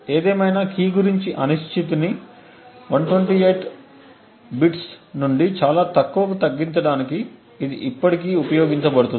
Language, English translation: Telugu, Nevertheless it can still be used to reduce the uncertainty about the key from 128 bits to something much more lower